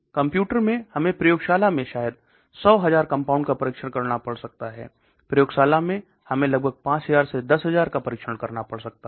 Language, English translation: Hindi, In computers we may have to test maybe 100 thousand compounds, in the lab we may have to test on about 5000 to 10000